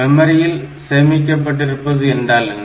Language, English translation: Tamil, considered is the stored in memory